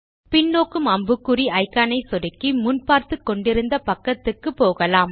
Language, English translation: Tamil, Clicking on the back arrow icon will take you back to the page where you were before